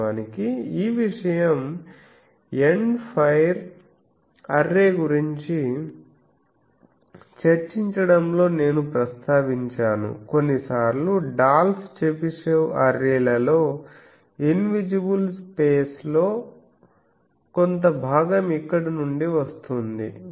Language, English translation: Telugu, Actually this thing I mentioned in discussing end fire array that sometimes in Dolph Chebyshev arrays, the a portion in the invisible face is gone actually that comes from here